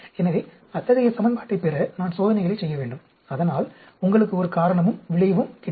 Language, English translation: Tamil, So, in order to derive such an equation, I need to perform experiments so that gives you a cause and effect